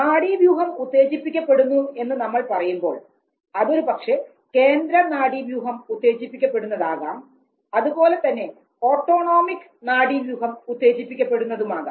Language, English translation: Malayalam, First activation of nervous system, so when we say activation of nervous system it could be activation of the central nervous system as well as the autonomic nervous system